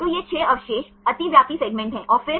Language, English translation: Hindi, So, these are the 6 residues overlapping segments and then